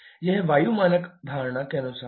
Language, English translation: Hindi, This is as per the air standard assumption